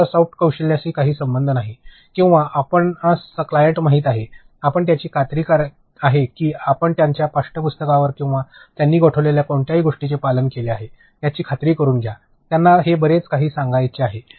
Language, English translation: Marathi, They have nothing to do with soft skills or you know clients, in that you make sure that you adhere to either their textbooks or whatever it is that they have freezed, that they want to cover this much